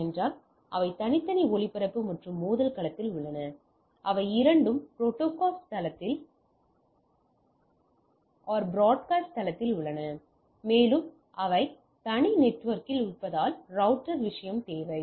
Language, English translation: Tamil, Because they are in separate broadcast and collision domain right both broad cast domain and they are in separate network needs a router thing